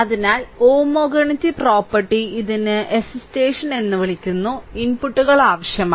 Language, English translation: Malayalam, So, homogeneity property it requires that if the inputs it is called excitation